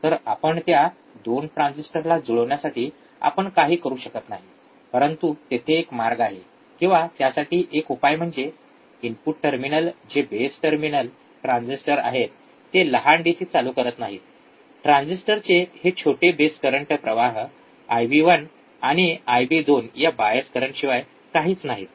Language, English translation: Marathi, So, we cannot do anything regarding the matching of the 2 transistors, but there is another way or another solution to do that is the input terminals which are the base terminal transistors do not current small DC, this small base currents of the transistors nothing but the bias currents I B 1 and I B 2